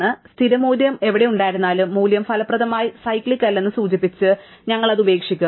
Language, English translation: Malayalam, So, wherever the default value is present, we will just leave it out indicating that the value is effectively not been cyclic